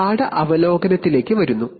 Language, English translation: Malayalam, And coming to a lesson review